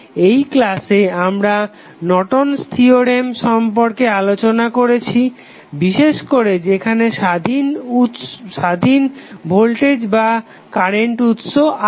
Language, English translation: Bengali, So, in the session we discussed about the Norton's theorem, a particularly in those cases where the independent voltage or current sources available